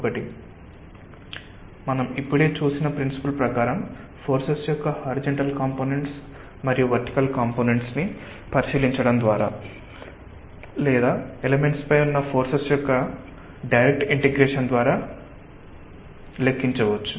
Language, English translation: Telugu, one is by looking to the horizontal and vertical components of forces, according to the principle that we have just seen, or may be just by direct integration of the forces on elements